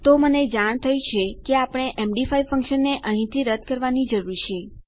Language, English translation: Gujarati, So, I realise what we need to do is, take out the md5 function here